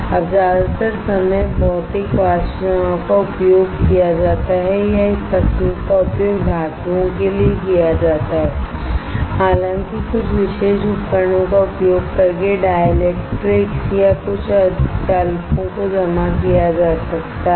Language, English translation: Hindi, Now most of the time Physical Vapor Depositions are used or this technique is used for metals right; however, dielectrics and some semiconductors can be deposited using some specialized equipment, using some specialized equipment